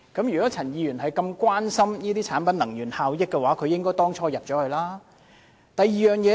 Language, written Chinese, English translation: Cantonese, 如果陳議員關心產品能源效益，當初便應加入小組委員會。, If Mr CHAN cares about the energy efficiency of products he should have joined the Subcommittee in the first place